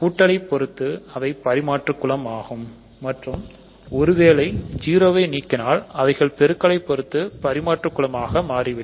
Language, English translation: Tamil, Under addition they are abelian groups and once you remove 0, they become abelian groups under multiplication